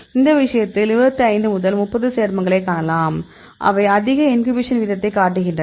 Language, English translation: Tamil, Well in that case they could find about 25 to 30 compounds, which are showing a high inhibition rate